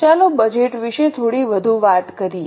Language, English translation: Gujarati, Let us talk a little more about budget